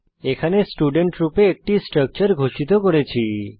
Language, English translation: Bengali, Here we have declared a structure as student